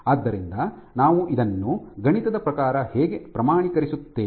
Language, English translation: Kannada, So, how do we quantify this mathematically